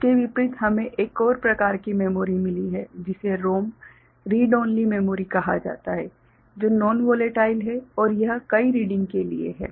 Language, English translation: Hindi, Contrast to that we have got another type of memory called ROM, Read Only Memory, which is non volatile and it is meant for multiple reading ok